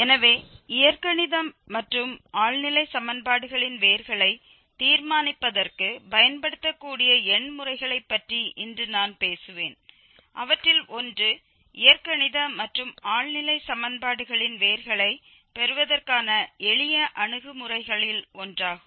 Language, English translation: Tamil, So, today will be talking about the several methods which I mean numerical methods that can be used for determining the roots of Algebraic and Transcendental Equations, one of them is the bisection method one of the simplest approaches to get roots of Algebraic and Transcendental Equations